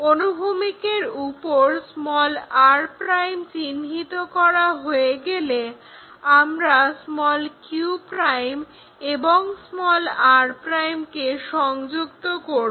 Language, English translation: Bengali, Once r' is located on that horizontal; we can connect q' and r', q' is this r' is that join that line